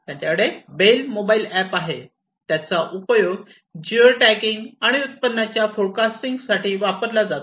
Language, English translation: Marathi, And they also have the bale mobile app the bale mobile app is used for geo tagging and yield forecasting